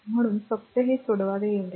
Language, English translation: Marathi, So, just you have to solve it that is all